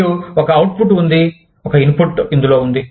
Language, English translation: Telugu, And, there is an output, there is an input, involved